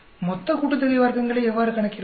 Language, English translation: Tamil, How do I calculate total sum of squares